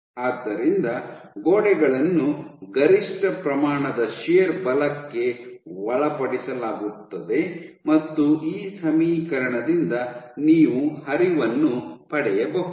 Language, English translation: Kannada, So, the walls are subjected to maximum amount of shear force and from this equation you can derive the flow